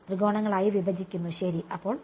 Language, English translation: Malayalam, Break it into triangles ok